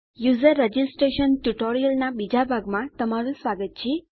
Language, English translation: Gujarati, Welcome to the second part of the User registration tutorial